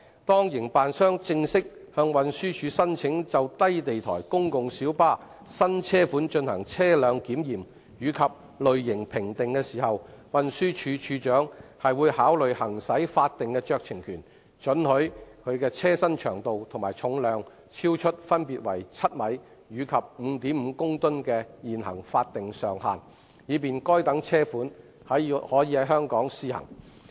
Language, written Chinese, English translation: Cantonese, 當營辦商正式向運輸署申請就低地台公共小巴新車款進行車輪檢驗及類型評定時，運輸署署長會考慮行使法定酌情權，准許其車身長度和重量超出分別為7米及 5.5 公噸的現行法定上限，以便該等車款可在香港試行。, When the operators formally apply to the Transport Department for vehicle examination and type approval for the new low - floor PLB models the Commissioner for Transport will consider exercising statutory discretionary power to allow vehicle length and weight to exceed the current statutory length limit of 7 m and weight limit of 5.5 tonnes so as to facilitate the trial run in Hong Kong